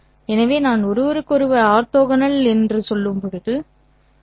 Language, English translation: Tamil, So this is the set I have orthogonal to each other